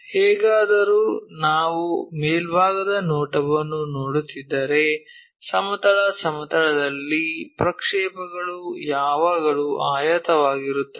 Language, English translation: Kannada, Anyway projection on the horizontal plane if we are looking the top view always be a rectangle